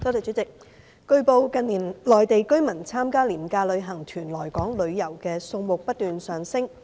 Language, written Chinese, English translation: Cantonese, 主席，據報，近年內地居民參加廉價旅行團來港旅遊的數目不斷上升。, President it has been reported that the number of Mainland residents joining low - fare tours to Hong Kong for leisure travel has been increasing incessantly in recent years